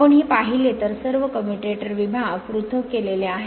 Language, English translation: Marathi, If you look into this that all commutator segments are insulated right